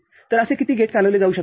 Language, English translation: Marathi, So, how many such gate can be serviced